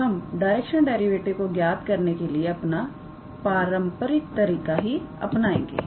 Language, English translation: Hindi, So, let us start with our very last example on the directional derivative chapter